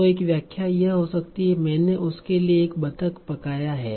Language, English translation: Hindi, So one interpretation can be I cooked a duck for her